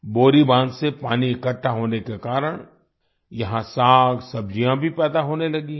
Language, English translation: Hindi, Due to accumulation of water from the check dams, greens and vegetables have also started growing here